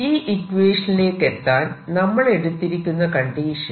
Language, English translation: Malayalam, so that is the motivation to develop this equation